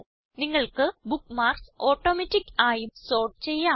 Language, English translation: Malayalam, You can also sort bookmarks automatically